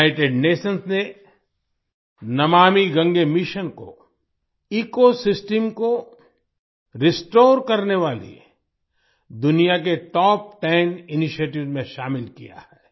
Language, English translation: Hindi, The United Nations has included the 'Namami Gange' mission in the world's top ten initiatives to restore the ecosystem